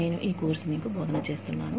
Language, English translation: Telugu, I have been teaching you, this course